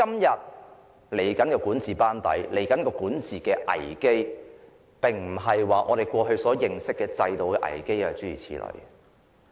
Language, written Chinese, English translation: Cantonese, 未來的管治班子及管治危機，並不是我們過去所認識的制度危機。, The governing crisis that the new governing team may have to face is different from the institutional crisis that we previously knew